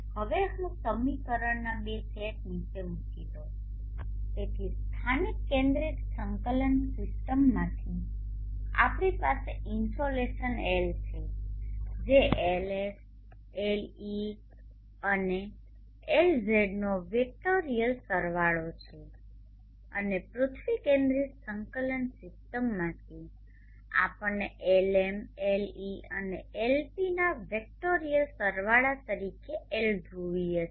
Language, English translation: Gujarati, Now let me put down the two sets of equation, so from the local centric coordinate system we have the insulation L which is a vectorial sum of LS, LE and LZ and from the earth centric coordinate system we have L has a vectorial sum of Lm, Le and Lp L polar